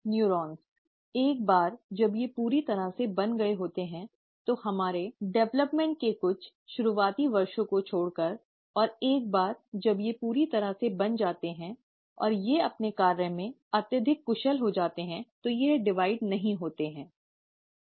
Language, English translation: Hindi, The neurons, once they have been completely formed, except for the few early years of our development, and once they have been totally formed and they have become highly efficient in their function, they do not divide